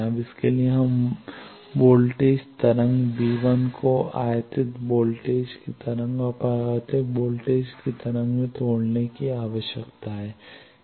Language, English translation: Hindi, Now, for that we need to break the voltage wave V 1 the total voltage V 1 that should be broken into the incident voltage wave and reflected voltage wave